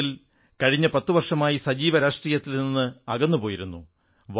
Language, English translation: Malayalam, In a way, he was cutoff from active politics for the last 10 years